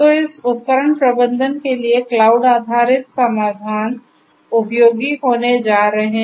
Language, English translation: Hindi, So, for this device management, cloud based solutions are going to be useful